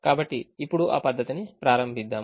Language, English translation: Telugu, so let me start that procedure now